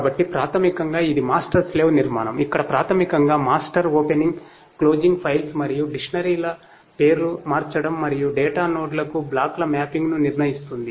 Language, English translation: Telugu, So, basically it is a master slave architecture, where basically the master executes the operations like opening, closing, the renaming the files and dictionaries and determines the mapping of the blocks to the data nodes